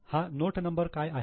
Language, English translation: Marathi, What is this note number